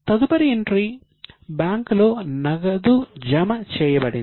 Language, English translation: Telugu, The next entry was cash deposited in bank